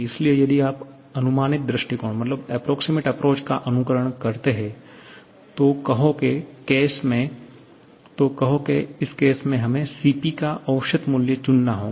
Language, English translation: Hindi, So, if you follow the approximate approach, then we have to choose an average value of Cp